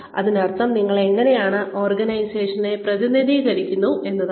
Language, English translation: Malayalam, Which means, how do you represent the organization